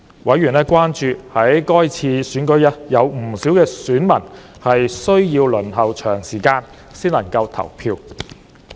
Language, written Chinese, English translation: Cantonese, 委員關注到，該次選舉有不少選民需要輪候長時間才能投票。, Members were concerned that many voters had to wait a long time before they could cast their votes in that election